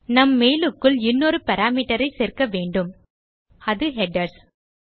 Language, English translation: Tamil, Inside our mail we need to add another parameter now which is headers